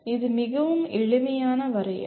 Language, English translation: Tamil, It is a very simple definition